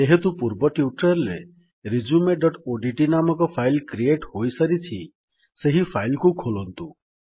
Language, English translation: Odia, Since we have already created a file with the filename resume.odt in the last tutorial we will open this file